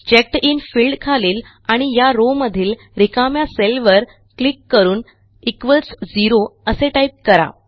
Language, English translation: Marathi, So let us click on the empty cell in this row, under the CheckedIn field and type in Equals Zero